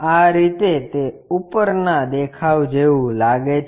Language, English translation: Gujarati, In this way, it looks like in the top view